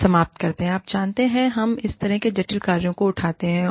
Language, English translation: Hindi, We end up, you know, we pick up such complex tasks